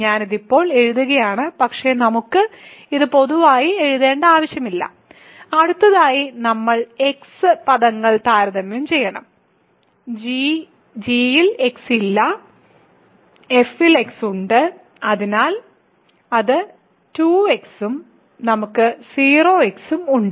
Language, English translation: Malayalam, So, I am writing it now, but we do not need to write it in general and now next we have to compare x terms, there is x in f no x in g, so that is a 2 x and we have 0